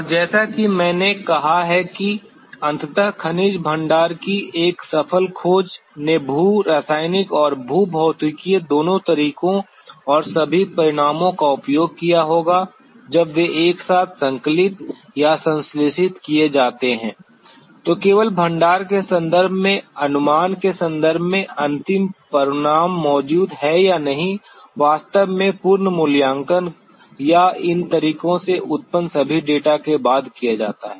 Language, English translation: Hindi, And as I have said that a successful discovery of a mineral deposit eventually, would have used the both geochemical and geophysical methods and all the results when they are compiled or synthesized together, then only the final result in terms of the inference on whether a deposit exists or not is actually made after the complete evaluation or all the data that is generated at these methods